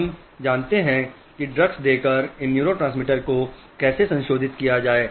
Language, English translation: Hindi, We know how to modulate this neurotransmitters by giving drugs